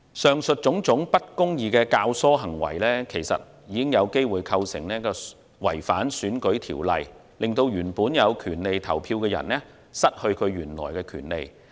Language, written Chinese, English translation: Cantonese, 以上種種不公義的教唆行為，其實已有機會構成違反選舉法例，令原本有權利投票的人失去其原有的權利。, In fact the aforementioned instigating acts which are unjust may have constituted a violation of the electoral laws by depriving people who have the right to vote of their original right